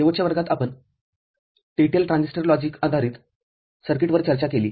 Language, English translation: Marathi, In the last class, we discussed TTL Transistor Logic based circuits, ok